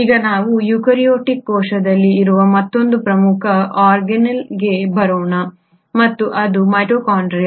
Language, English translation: Kannada, Now let us come to another very important organelle which is present in eukaryotic cell and that is the mitochondria